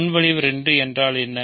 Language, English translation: Tamil, So, what is proposition 2